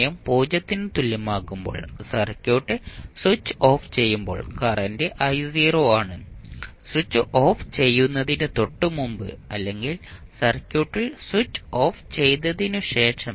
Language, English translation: Malayalam, When the circuit when the switched is off at time t is equal to 0 the current that is I naught just before the switch off of the circuit or just after the switch off phenomena in the circuit